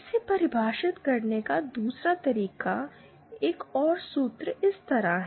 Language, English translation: Hindi, The other way of defining this, another formula is like this